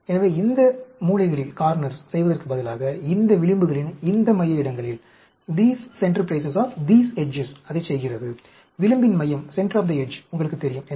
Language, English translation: Tamil, So, instead of doing at these corners, it does it at these center places of these edges; center of the edge, you know